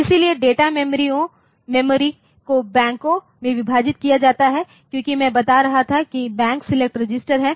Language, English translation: Hindi, So, data memory is divided into Banks as I was telling there is a Bank select register